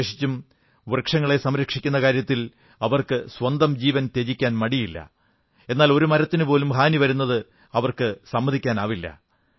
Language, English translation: Malayalam, Specially, in the context of serving trees, they prefer laying down their lives but cannot tolerate any harm to a single tree